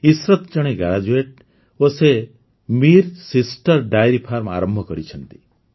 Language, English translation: Odia, Ishrat, a graduate, has started Mir Sisters Dairy Farm